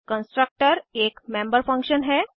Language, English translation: Hindi, A constructor is a member function